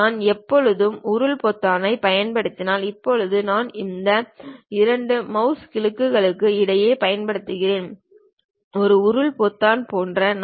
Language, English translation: Tamil, I can always use scroll button, right now I am using in between these 2 mouse clicks there is something like a scroll button